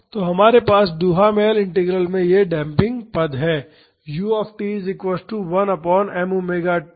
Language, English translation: Hindi, So, we have this damping term in the Duhamel Integral